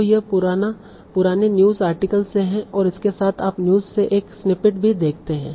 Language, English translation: Hindi, So this is from an old news article and with that you also see a snippet from the from the news